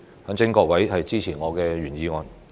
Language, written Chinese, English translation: Cantonese, 懇請各位支持我的原議案。, I implore Members to support my original motion